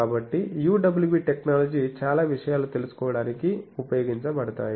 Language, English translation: Telugu, So, lot of lot of things UWB technology is used